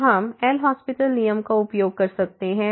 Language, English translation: Hindi, So, we can use the L’Hospital rule